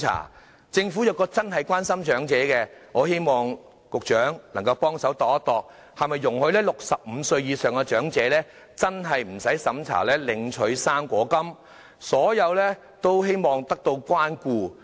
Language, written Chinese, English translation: Cantonese, 如果政府真的關心長者，我希望局長能夠考慮容許65歲以上的長者無須資產審查領取"生果金"，令所有長者也得到關顧。, In order to show the Governments care to the elderly I hope the Secretary can consider allowing old people aged 65 or above to receive the fruit grant without undergoing the means test so that all old people can be afforded care